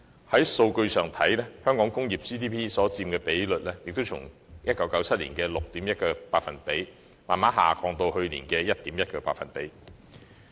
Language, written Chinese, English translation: Cantonese, 在數據上，香港工業所佔 GDP 比例亦從1997年的 6.1%， 逐步下降至去年的 1.1%。, Statistically speaking the proportion of industry in Hong Kongs GDP has gradually reduced from 6.1 % in 1997 to 1.1 % last year